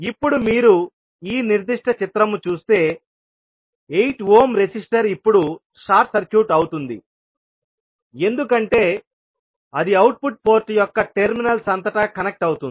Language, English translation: Telugu, Now, if you see this particular figure, the 8 ohm resistor will be now short circuited because it is connect across the terminals of the output port so the current I 2 will be flowing through 2 ohm resistance